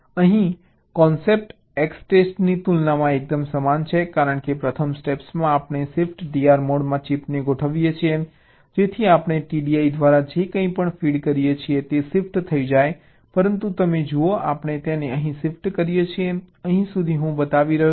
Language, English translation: Gujarati, so here the concept is quite similar as compared to extest, because in the first step we configure the chip in the shift d r mode so that whatever we feed through t d i will get shifted